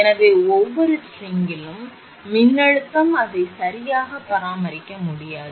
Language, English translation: Tamil, So, voltage across each string, it is not possible to maintain exactly the same voltage